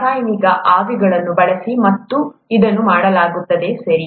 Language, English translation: Kannada, It is done by using chemical vapours, okay